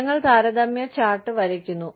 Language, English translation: Malayalam, We draw comparative chart